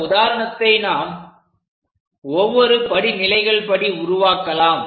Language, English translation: Tamil, So, let us begin our example construct it step by step